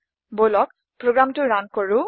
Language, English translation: Assamese, Lets run the program